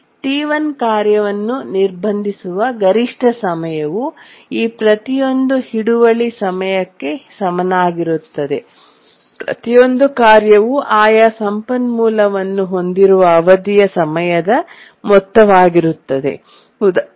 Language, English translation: Kannada, The maximum time the task T1 gets blocked is equal to the time for which each of these holds is the sum of the time for the duration for which each of the task holds their respective resource